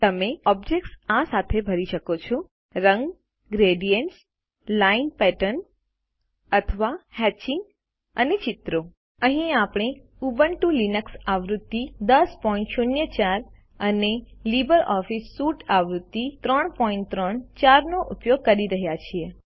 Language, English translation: Gujarati, You can fill objects with: Colors Gradients Line patterns or hatching and Pictures Here we are using Ubuntu Linux version 10.04 and LibreOffice Suite version 3.3.4